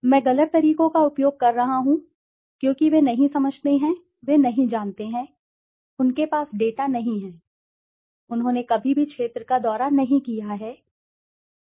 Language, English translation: Hindi, I am using the word wrong methods because they do not understand, they do not know, they do not have the data, they have never visited the field but they have done it